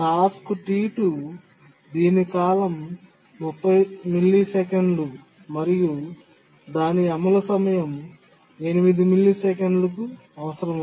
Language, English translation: Telugu, The task T2 requires 8 millisecond execution time but has a period 30 millisecond